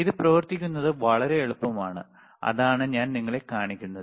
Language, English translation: Malayalam, It is very easy to operate, that is what I am I am showing it to you